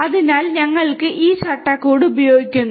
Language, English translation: Malayalam, So, we are using this framework